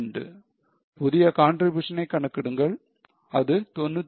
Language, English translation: Tamil, Compute new contribution which is 95